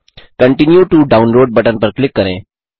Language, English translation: Hindi, Click on the Continue to Download button